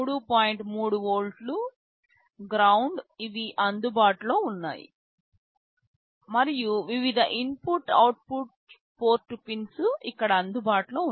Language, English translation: Telugu, 3 volts, ground these are available, and different input output port pins are available here